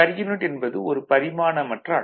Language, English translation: Tamil, So, it is a dimensionless quantity